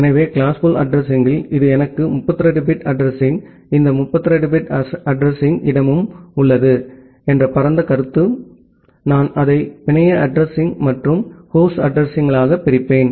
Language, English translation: Tamil, So, in class full addressing, this is the broad concept that I have the 32 bit address, this entire 32 bit address space, I will divide it into the network address and the host address